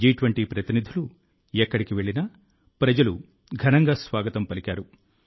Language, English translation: Telugu, Wherever the G20 Delegates went, people warmly welcomed them